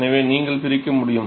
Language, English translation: Tamil, So, you should be able to separate